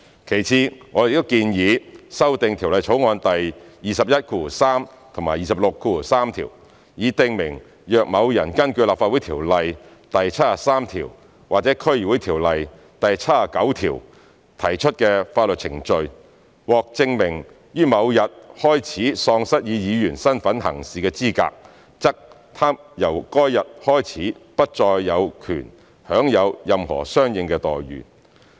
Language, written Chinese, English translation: Cantonese, 其次，我們亦建議修訂《條例草案》第213及263條，以訂明若某人根據《立法會條例》第73條或《區議會條例》第79條提出的法律程序，獲證明於某日開始喪失以議員身分行事的資格，則他由該日開始不再有權享有任何相應待遇。, Secondly we also propose to amend clauses 213 and 263 to specify that if in proceedings brought under section 73 of the Legislative Council Ordinance or section 79 of the District Councils Ordinance it is proved that a person was disqualified from acting as a member beginning on a date he or she ceased to be entitled to any corresponding entitlement beginning on that date